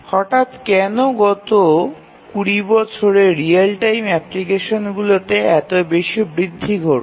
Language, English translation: Bengali, So, then why suddenly in last 20 years there is such a large increase in the real time applications